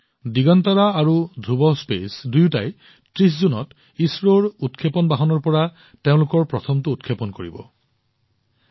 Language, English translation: Assamese, Both Digantara and Dhruva Space are going to make their first launch from ISRO's launch vehicle on the 30th of June